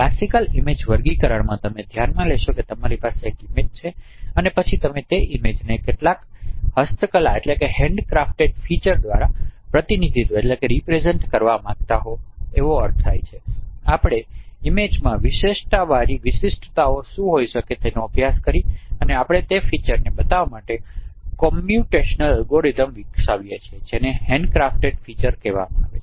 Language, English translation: Gujarati, In classical image classification you consider you have an image and then you would like to represent that this image by some handcrafted features which means we have studied what could what what could be the distinct features for characterizing this image and we develop computational algorithms to extract those features